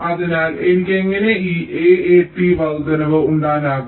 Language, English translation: Malayalam, so how i can make this a a t increase